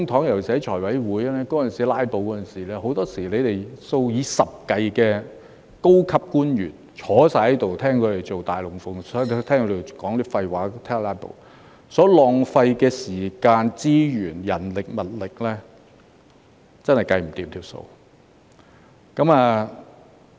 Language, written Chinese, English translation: Cantonese, 尤其是財務委員會出現"拉布"的當時，很多時候，你們數以十計的高級官員坐在這裏看他們做"大龍鳳"，聽他們說廢話和"拉布"，所浪費的時間、資源、人力物力，真是無法估算。, Very often dozens of senior officials just sat in this Chamber watching those Members big shows and listening to their gibberish and filibusters . It is really impossible to calculate how much time manpower and resource have thus been wasted